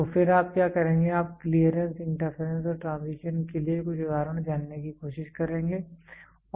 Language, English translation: Hindi, So, then what you will do is you will try to figure out some example for Clearance, Interference and Transition